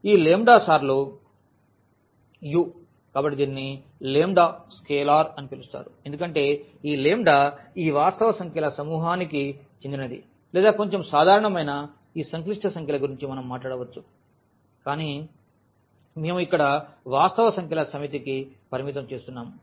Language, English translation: Telugu, Another property that this lambda times u, so, the lambda which is called is scalar because lambda belongs to this set of real numbers or little more general this set of complex numbers we can talk about, but we are restricting to the set of real numbers here